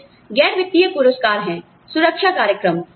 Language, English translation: Hindi, Some non financial rewards are, the protection programs